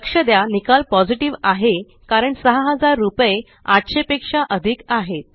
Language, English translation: Marathi, Notice, that the result is Positive since rupees 6000 is greater than rupees 800